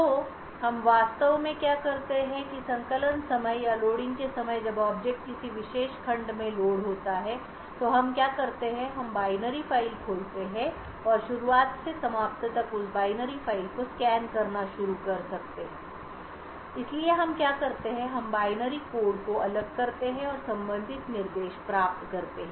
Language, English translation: Hindi, compiling or during the time of loading when the object is loaded into a particular segment so what we do is that we open the binary file and start to scan that binary file from the beginning to the end, so what we do is we take the binary code disassemble it and get the corresponding instructions